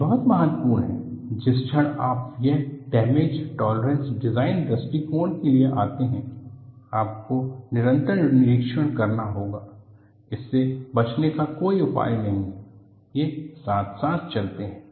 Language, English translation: Hindi, This is very important, the moment you come for damage tolerant design approach, you have to do periodic inspection; there is no escape from that they go together